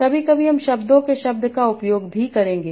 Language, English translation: Hindi, Sometimes you will also use the glossage of the words